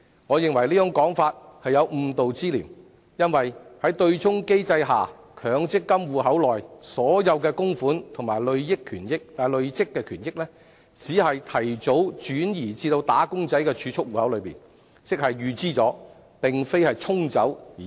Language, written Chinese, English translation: Cantonese, 我認為這種說法有誤導之嫌，因為在對沖機制下，強積金戶口內所有供款及累算權益，只是提早轉移至"打工仔"的儲蓄戶口，即是"預支"而非"沖走"。, I consider such comments misleading because under the offsetting mechanism all the contributions and accrued benefits in MPF accounts are simply transferred to the wage earners savings accounts earlier . That means an early withdrawal rather than being washed off